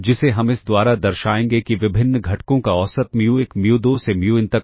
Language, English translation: Hindi, Let the mean of the various components be mu1 mu2 up to mun